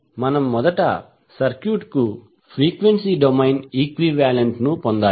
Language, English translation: Telugu, We need to first obtain the frequency domain equivalent of the circuit